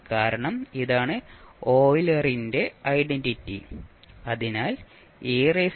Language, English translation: Malayalam, Because this is Euler's identity